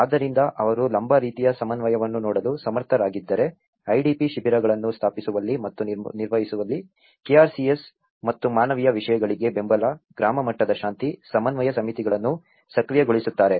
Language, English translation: Kannada, So, they are able to see a kind of vertical coordination, also the support to KRCS and the humanitarian actors in establishing and managing the IDP camps, activate village level peace, reconciliation committees